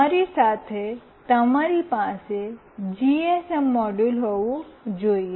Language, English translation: Gujarati, You should have a GSM module with you